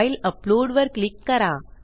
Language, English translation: Marathi, Click file upload